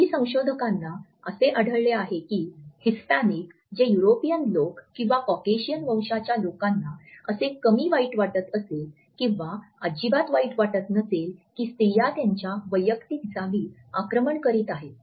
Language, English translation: Marathi, Certain researchers have found out that Hispanics followed by Europeans or people of Caucasian origin are least likely to feel that women are invading their personal space